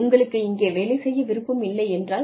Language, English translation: Tamil, And, if you do not want to work with me